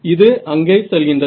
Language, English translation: Tamil, So, it's going to be there